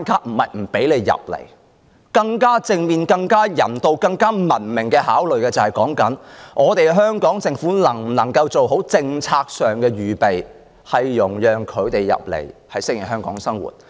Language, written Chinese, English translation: Cantonese, 我們應從更正面、更人道、更文明的方面考慮，香港政府能否做好政策上的預備，容讓他們移民後適應香港的生活？, We should consider from a more positive humane and civilized perspective . Can the Hong Kong Government do better in its policy preparation so that new immigrants can easily adapt to the life in Hong Kong?